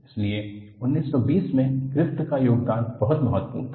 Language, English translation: Hindi, So, the contribution of Griffith in 1920 was very important